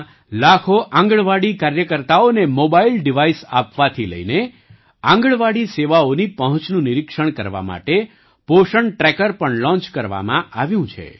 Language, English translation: Gujarati, From providing mobile devices to millions of Anganwadi workers in the country, a Poshan Tracker has also been launched to monitor the accessibility of Anganwadi services